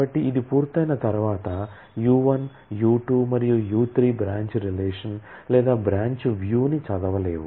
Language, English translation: Telugu, So, once this is done, then U1, U2 and U3 will not be able to read the branch relation or the branch view